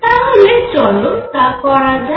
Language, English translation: Bengali, So, let us do that